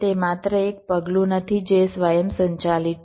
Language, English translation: Gujarati, it is not just a single step which is automated